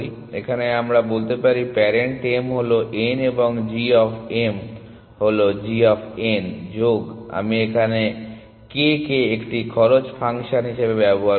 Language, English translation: Bengali, Then we say parent m is n and g of m is equal g of n plus I will use k as a cost function